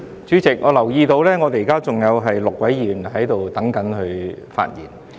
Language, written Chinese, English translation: Cantonese, 主席，我留意到現在仍有6位議員在輪候發言。, President as I noticed six Members are still waiting for their turn to speak